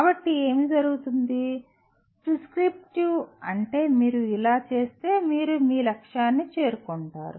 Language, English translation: Telugu, So what happens, prescriptive means if you do like this you will reach your goal better